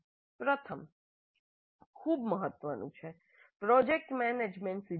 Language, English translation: Gujarati, The first very important one is that project management principles